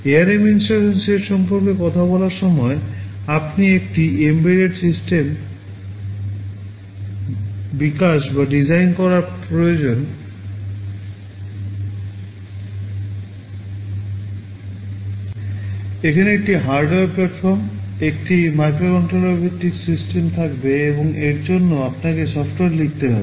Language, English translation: Bengali, Talking about the ARM instruction set, you see as a developer you need to develop or design an embedded system, you will be having a hardware platform, a microcontroller based system and you have to write software for it